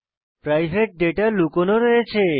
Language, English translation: Bengali, The private data is hidden